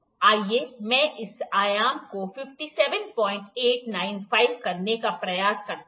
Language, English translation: Hindi, Let me try to make this dimension 57